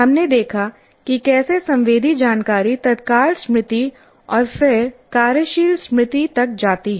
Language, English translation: Hindi, And there we looked at how does the sensory information passes on to immediate memory and then working memory